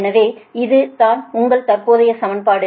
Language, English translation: Tamil, this is your current equation now